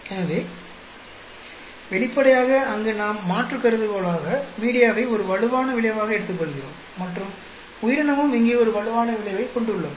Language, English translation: Tamil, So obviously, there we take the alternate hypothesis media as a strong effect and then organism also has a strong effect here